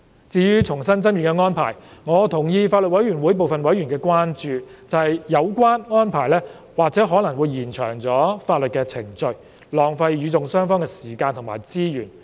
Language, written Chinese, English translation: Cantonese, 至於重新爭辯的安排，我同意法案委員會部分委員的關注，即有關安排或會延長法律的程序，浪費與訟雙方的時間和資源。, As for the re - argument arrangement I concur with the concern of some members of the Bills Committee that it may lead to prolonged legal proceedings thus wasting the time and resources of both parties to the litigation